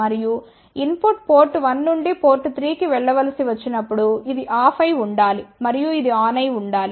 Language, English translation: Telugu, And when the input has to go from port 1 to port 3 then this should be off and this should be on